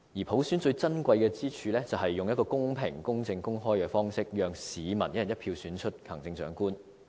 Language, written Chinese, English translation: Cantonese, 普選最珍貴之處是用一個公平、公正、公開的方式，讓市民"一人一票"選出行政長官。, Universal suffrage is precious in that it allows the public to elect the Chief Executive by one person one vote in an equitable fair and open manner